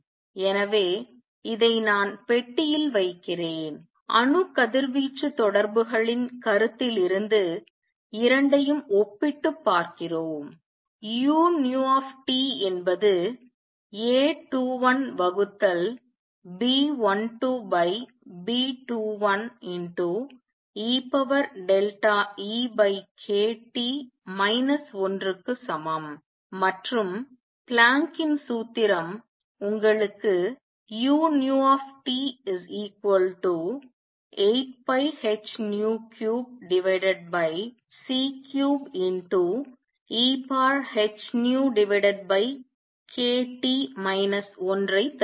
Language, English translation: Tamil, So, let me also box this and you compare the two from the considerations of atom radiation interaction we get u nu T is equal to A 21 divided by B 12 over B 2 1 E raise to delta E over k T minus 1 and Planck’s formula gives you u nu T is equal to 8 pi h nu cube over c cube 1 over E raise to h nu over k T minus 1